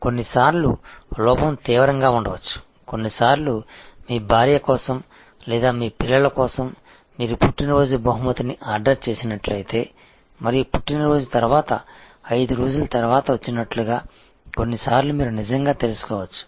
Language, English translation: Telugu, But, sometimes the lapse can be severe, sometimes the lapse can actually you know like if you have ordered birthday gift for your wife or for your children and it arrives 5 days after the birth day